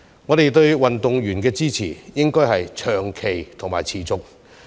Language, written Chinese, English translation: Cantonese, 我們對運動員的支持，應該要長期和持續。, Our support for athletes should be long - lasting